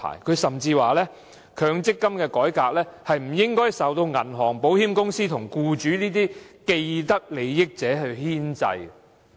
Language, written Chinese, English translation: Cantonese, 他甚至認為，強積金改革不應受銀行、保險公司及僱主等既得利益者牽制。, He even opines that MPF reforms should not be restrained by vested interest groups such as banks insurance companies and employers